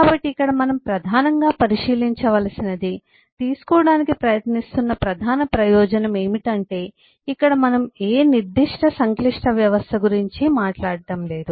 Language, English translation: Telugu, so here the the main observation to be made, the main advantage we are trying to drive in, is: here we are not talking about any specific complex system